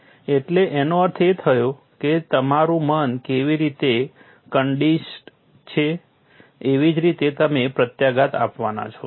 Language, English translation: Gujarati, So that means, how your mind is conditioned is the way you are going to react